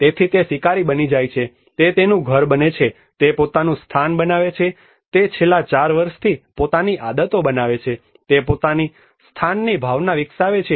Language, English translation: Gujarati, So he becomes a hunter, he becomes his home, he makes his own place, he makes his own habits for the past 4 years he develops his own sense of place